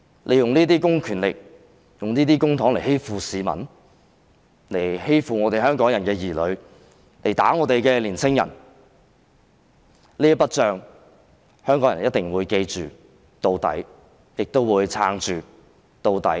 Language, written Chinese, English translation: Cantonese, 你們用這些公權力和公帑來欺負市民和香港人的兒女，以及毆打我們的青年人，香港人一定會永遠記着這筆帳，亦會撐到底。, The public funds are contributed by us . You use such public powers and public funds to bully the citizens and the children of Hongkongers as well as beating up our young people . Hongkongers will forever bear such a grudge and will persist until the end